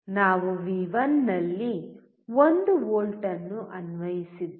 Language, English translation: Kannada, We applied 1 volt at V1